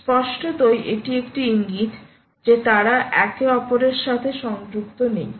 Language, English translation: Bengali, its an indicator that the, they are not connected with each other